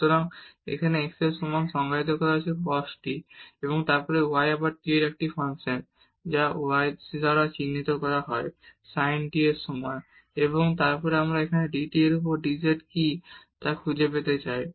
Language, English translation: Bengali, So, which is defined here as x is equal to cos t and then y is a function of t again which is denoted by y is equal to sin t and then we want to find here what is dz over dt